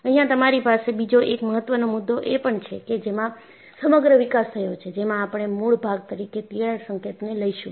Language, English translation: Gujarati, And, you also have another important concept that, in the whole of these developments, we will take the crack tip as the origin